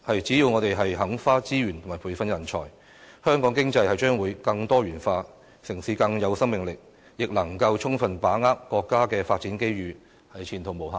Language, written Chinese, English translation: Cantonese, 只要我們肯花資源培訓人才，香港經濟將會更多元化，城市更有生命力，亦能夠充分把握國家的發展機遇，前途無限。, Hong Kong will have a bright future with a more diversified economy and more vibrant city to sufficiently capture the development opportunities offered by the country if it is willing to invest in nurturing talents